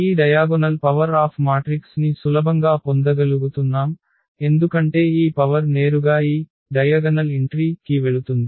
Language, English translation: Telugu, What is the use here that this diagonal matrix we can easily get this power here because this power will directly go to this diagonal entry